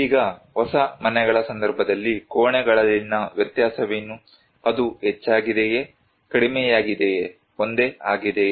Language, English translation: Kannada, Now, what was the variation in the rooms in case of new houses, is it increased, decreased, remain same